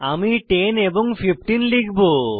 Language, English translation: Bengali, I will enter 10 and 15